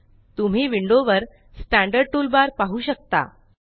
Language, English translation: Marathi, You can see the Standard toolbar on the window